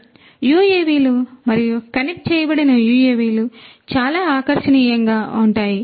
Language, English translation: Telugu, So, UAVs and the connected UAVs are very attractive